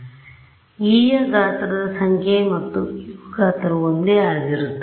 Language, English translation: Kannada, So, the number of the size of x and the size of u is identical